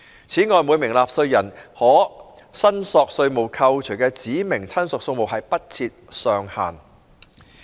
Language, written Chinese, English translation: Cantonese, 此外，每名納稅人可申索稅務扣除的指明親屬數目不設上限。, This apart there would be no cap on the number of specified relatives for whom tax deductions may be claimed by a taxpayer